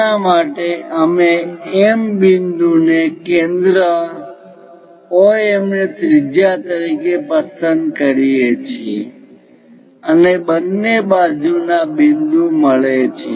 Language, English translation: Gujarati, So, for that we pick M point pick OM as radius identify the point on both the sides